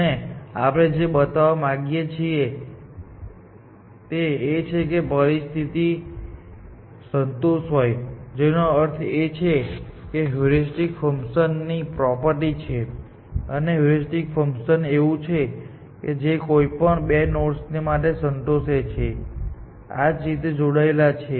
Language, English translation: Gujarati, This condition is called monotone of consistency condition, and what we want to show is that if this condition is satisfied, which means that it is the property of the heuristic function; a heuristic function is such, that this property is satisfied for any two nodes, which connected like this